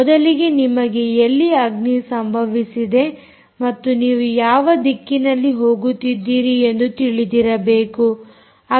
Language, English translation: Kannada, first of all you should know where did the fire occur and where is the